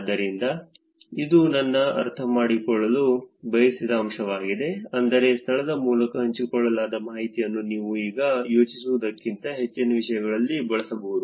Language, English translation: Kannada, So, that is a point I wanted to get across, which is that information that is shared through location can be actually used for things beyond what you think for now also